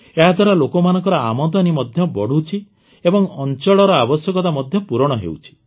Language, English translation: Odia, On account of this the income of the people is also increasing, and the needs of the region are also being fulfilled